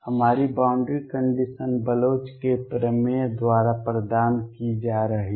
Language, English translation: Hindi, Our boundary condition is going to be provided by the Bloch’s theorem